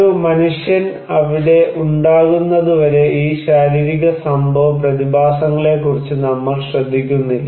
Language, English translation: Malayalam, So, we do not care about this physical event phenomena until there is a human being